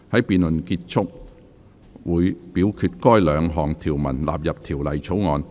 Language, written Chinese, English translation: Cantonese, 辯論結束後，會表決該兩項條文納入條例草案。, After the debate the committee will vote on the two clauses standing part of the Bill